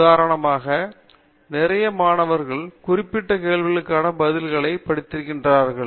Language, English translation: Tamil, To give an example, lot of students have studied answers for specific questions